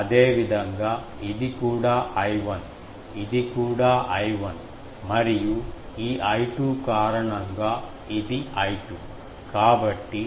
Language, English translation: Telugu, Similarly, this one is also I 1, this is also I 1, this is I 2 and due to this I 2